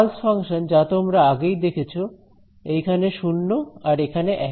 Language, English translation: Bengali, The pulse function which you already saw right so the pulse was right it is 0 over here and 1 over here